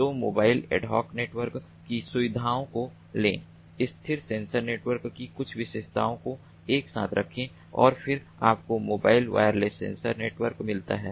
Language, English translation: Hindi, so take the features of mobile ad hoc networks, take the few features of stationary sensor networks, put them together and then you get the mobile wireless sensor networks